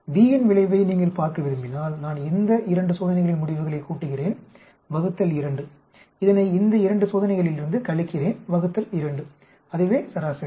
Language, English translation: Tamil, If you want to look at effect of B, I add up the results from these 2 experiments divided by 2 subtract it from these 2 experiment divide by 2 that is average